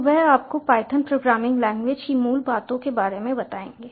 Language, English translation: Hindi, in this lecture we are going to introduce to you the language, the python programming language